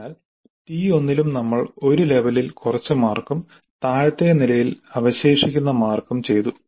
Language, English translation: Malayalam, So, in T1 also we have done certain marks at one level and remaining marks at lower level